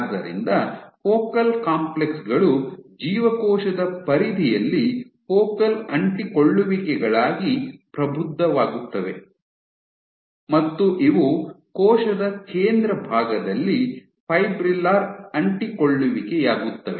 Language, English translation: Kannada, So, you have Focal Complexes mature into Focal Adhesions at the cell periphery and these become Fibrillar Adhesions at the cell center